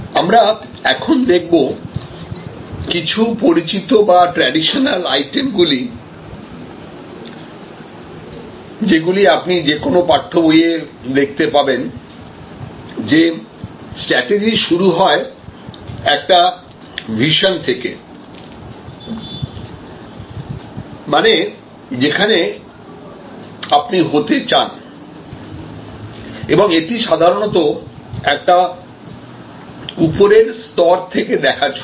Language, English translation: Bengali, Now, let us look at some known or traditional or items that you will find in any text book that strategy starts with some kind of a vision, where you want to be which is a sort of usually stated at a high level of abduction